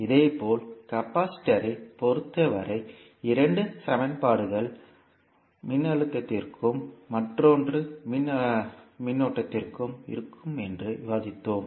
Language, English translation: Tamil, Similarly for capacitor also we discussed that we will have the two equations one for voltage and another for current